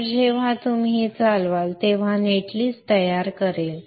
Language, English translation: Marathi, So when you run this, it will generate the net list